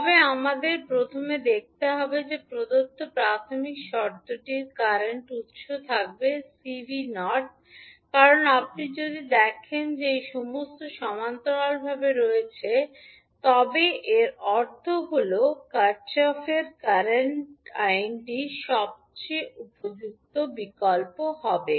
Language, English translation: Bengali, But we have to first see that initial condition which is given will have the current source C v naught because if you see these all are connected in parallel it means that Kirchhoff’s current law would be most suitable option